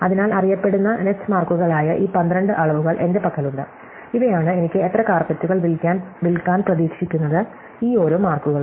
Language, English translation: Malayalam, So, I have these 12 quantities which are known net marks, these are how many carpets I can expect to sell and each of these marks